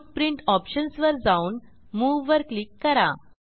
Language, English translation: Marathi, Go to Footprint options, and click on Move